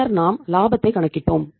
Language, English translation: Tamil, Then we calculated the profits